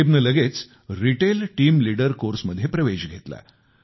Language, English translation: Marathi, Rakib immediately enrolled himself in the Retail Team Leader course